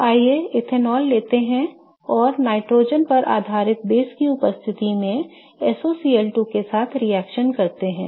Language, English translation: Hindi, So, let's take ethanol and let's react it with SOCL 2 in presence of a nitrogen based base